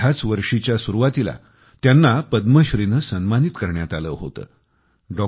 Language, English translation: Marathi, In the beginning of this year, she was honoured with a Padma Shri